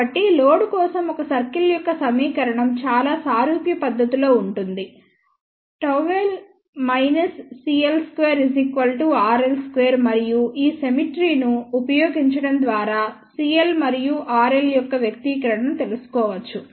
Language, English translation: Telugu, So, equation of a circle for load would be in a very similar fashion gamma L minus c l square is equal to r l square and by using this symmetry we can find out the expression for c l and r l